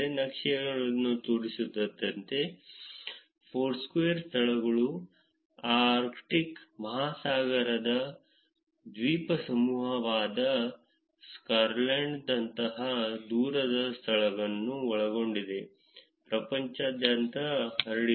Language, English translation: Kannada, As the maps show, Foursquare venues are spread all over the world including remote places such as Svalbard, an archipelago in the Arctic Ocean